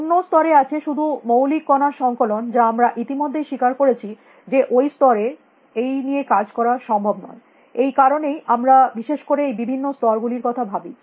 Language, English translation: Bengali, At another level, it is all just collections of fundamental particles which we have already agreed that we cannot deal with at that level; that is why we think of these different scales especially, okay